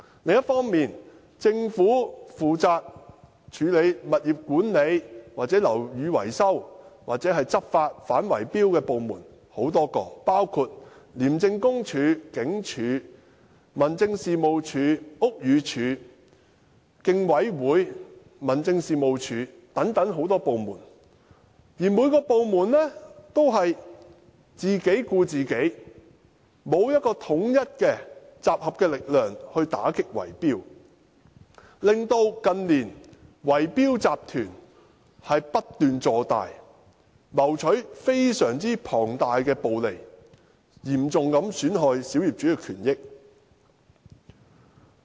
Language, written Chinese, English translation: Cantonese, 另一方面，政府有多個部門負責處理物業管理、樓宇維修及反圍標的執法工作，包括廉署、警務處、民政事務總署、屋宇署和香港競爭事務委員會，而每個部門也只是自己顧自己，沒有統一、集合的力量打擊圍標，令圍標集團近年不斷擴大，謀取龐大的暴利，嚴重損害小業主的權益。, Meanwhile a number of government departments are responsible for dealing with property management buildings maintenance and enforcement against bid - rigging including ICAC the Hong Kong Police Force the Home Affairs Department the Buildings Department and the Competition Commission of Hong Kong but each department only minds its own business . There is no centralized or pooled strength to combat bid - rigging thus enabling the bid - rigging syndicates to continuously expand in recent years seek exorbitant profits and seriously undermine the interests of minority owners